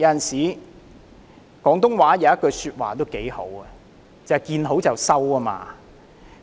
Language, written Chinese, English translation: Cantonese, 廣東話有一句說話說得挺好的，便是"見好就收"。, The Cantonese saying of to quit while you are ahead is most apt